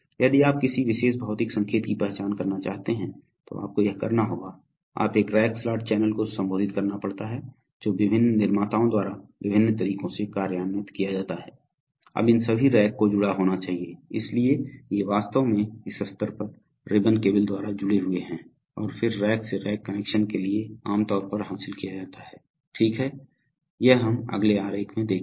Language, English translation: Hindi, So if you want to identify a particular physical signal, you have to, this is, you have to have a rack slot channel addressing, which is implemented in various ways by various manufacturers, now all these racks must be connected, so these, they are actually connected at this level by ribbon cables and then from rack to Rack connection is generally achieved, okay, we will see this is the next diagram